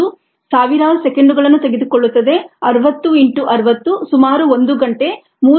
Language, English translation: Kannada, this one takes thousands of seconds, sixty into sixty, about an hour, three thousands six hundred seconds